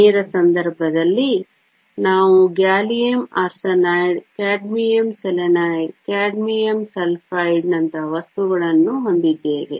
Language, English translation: Kannada, In the case of direct, we have materials like gallium arsenide, cadmium selenide, cadmium sulfide